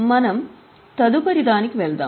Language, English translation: Telugu, Let us go to the next one